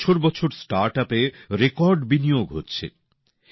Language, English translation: Bengali, Startups are getting record investment year after year